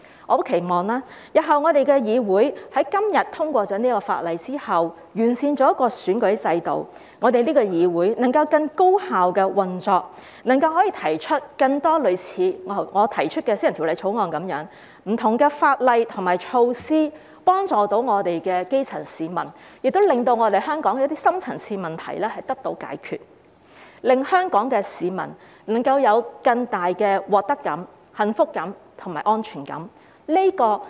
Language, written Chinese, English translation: Cantonese, 我十分期望，在通過今天的《條例草案》，完善選舉制度之後，日後這個議會能夠更高效運作，能夠提出更多類似我提出的私人法案，透過不同法例和措施幫助基層市民，令香港的深層次問題得到解決，令香港市民能夠有更大的獲得感、幸福感和安全感。, I very much hope that after the passage of the Bill today and the improvement of the electoral system this Council can operate more efficiently in the future and introduce more private bills similar to the one I have introduced so as to help the grass roots through different laws and measures solve the deep - rooted problems of Hong Kong and enable the people of Hong Kong to have a greater sense of gain happiness and security